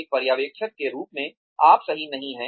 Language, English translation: Hindi, As a supervisor, you are not perfect